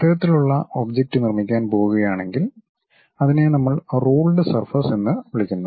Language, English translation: Malayalam, If we are going to construct such kind of object that is what we called ruled surface